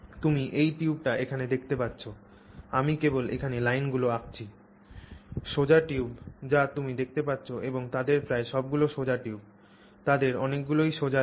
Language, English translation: Bengali, You can see this tube here, I'm just drawing the lines here, straight tubes you'd see and almost all of them are straight tubes